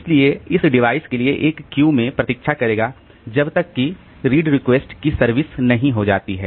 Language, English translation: Hindi, So, it will wait in a queue for this device until the read request is serviced